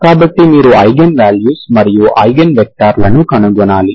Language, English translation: Telugu, So you need to find the eigenvalues and eigen vectors